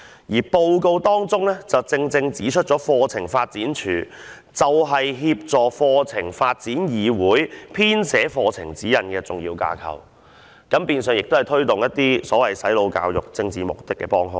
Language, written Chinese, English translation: Cantonese, 這份報告正正指出了課程發展處作為協助課程發展議會編寫課程指引的重要機關，亦變相成為了推動"洗腦"教育以達致政治目的的幫兇。, The report points out exactly the truth that CDI as an important body which assists CDC in preparing curriculum guidelines has turned into an accomplice engaging in the latters mission of taking forward brainwashing education to serve political ends